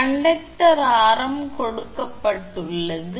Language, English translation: Tamil, Conductor radius is given